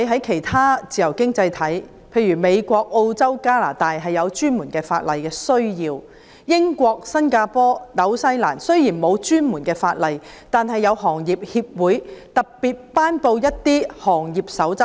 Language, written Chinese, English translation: Cantonese, 其他自由經濟體，例如美國、澳洲、加拿大訂有專門法例，而英國、新加坡、新西蘭雖然沒有專項法例，但有關行業的協會亦特別頒布一些行業守則。, Dedicated legislation has been enacted in other free economies such as the United States Australia and Canada; as for other countries such as the United Kingdom Singapore and New Zealand though there is no dedicated legislation Code of Ethics or Code of Conduct have been issued by the relevant industries